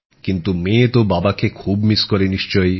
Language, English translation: Bengali, But the daughter does miss her father so much, doesn't she